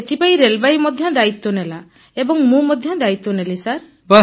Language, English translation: Odia, Railway took this much responsibility, I also took responsibility, sir